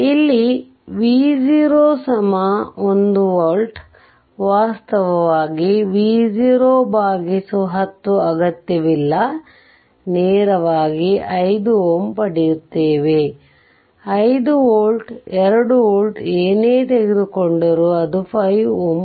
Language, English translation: Kannada, Here I have taken v 0 is equal to 1 volt, no need actually v 0 by 1 0 directly we will get 5 ohm right; 1 volt, 2 volt whatever you take right, it will become 5 ohm